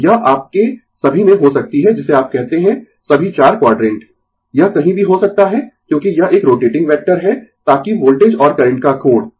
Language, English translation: Hindi, So, it may be in either all the your what you call all the four quadrant, it may be anywhere right, because it is a rotating vector, so that angle of the voltage and current